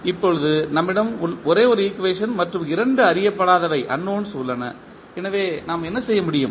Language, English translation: Tamil, Now, we have only one equation and two unknowns, so what we can do